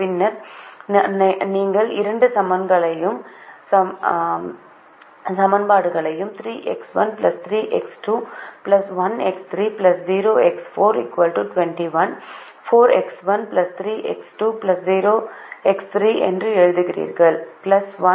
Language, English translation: Tamil, then you write the two equations this way: three x one plus three x two plus one, x three plus zero, x four is equal to twenty one, four x one plus three x two plus zero, x three plus one x four equal to twenty four